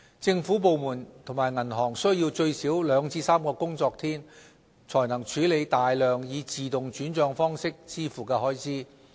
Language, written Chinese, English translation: Cantonese, 政府部門及銀行需要最少兩至3個工作天，才能處理大量以自動轉帳方式支付的開支。, It takes at least two to three working days for government departments and banks to process a large number of payments made by autopay